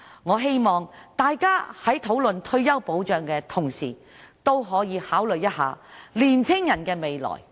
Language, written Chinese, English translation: Cantonese, 我希望大家在討論退休保障的同時，也可以考慮年青人的未來。, I hope that when discussing retirement protection Members can also give thoughts to the future of young people